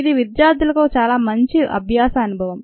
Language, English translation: Telugu, its a very good learning experience for the students